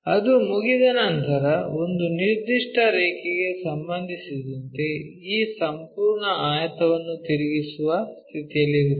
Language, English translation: Kannada, Once that is done we will be in a position to rotate this entire rectangle with respect to a particular line